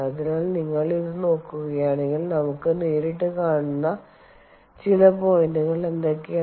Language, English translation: Malayalam, ok, so if you look at this, what are some of the points that we see directly